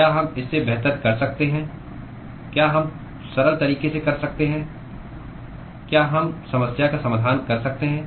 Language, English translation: Hindi, Can we do better than that can we do in a simpler fashion can we solve the problem